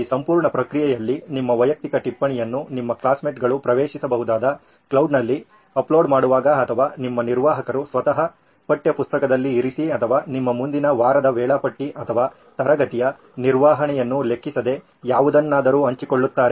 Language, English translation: Kannada, So in this entire process while you uploading your personal notes into the cloud where your classmates can access it or your administrator himself or herself putting in the text book or sharing your next week’s timetable or anything irrespective of class management